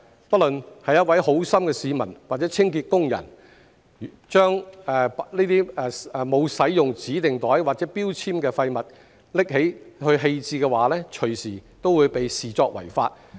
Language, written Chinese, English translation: Cantonese, 不論是一位好心市民或清潔工人，把沒有使用指定袋或標籤的廢物拿去棄置的話，隨時都會被視作違法。, A kind - hearted member of the public or cleansing worker who picked up and disposed of waste without using designated bags or labels might be deemed as having breached the law at any time